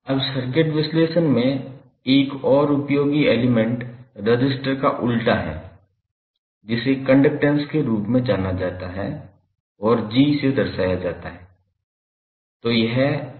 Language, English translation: Hindi, Now, another useful element in the circuit analysis is reciprocal of the resistance which is known as conductance and represented by capital G